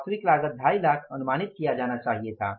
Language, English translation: Hindi, Actual cost should have been estimated as 2